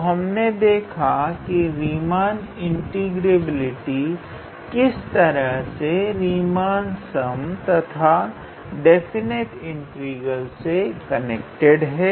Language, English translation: Hindi, Next, as we have seen that for the Riemann integrability, how we can connect the Riemann integrability with Riemannian sum and how it is connected with the definite integral